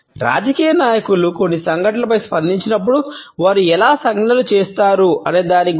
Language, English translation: Telugu, It is about how political leaders make gestures when they react to certain events